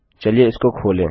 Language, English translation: Hindi, Lets open this up